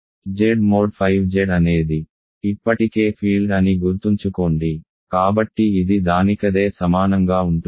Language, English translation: Telugu, Z mod 5 Z remember is already a field, so it is equal to itself